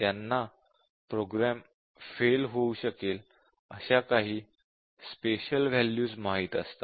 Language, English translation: Marathi, They somehow know some special values where the program is likely to fail